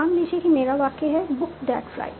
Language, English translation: Hindi, Suppose my sentence is book that flight